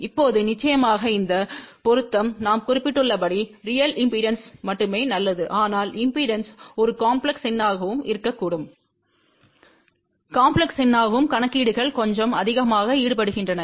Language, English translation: Tamil, Now of course, this matching is only good for real impedance as we mention but impedance can be a complex number and for complex number, calculations become little bit more involved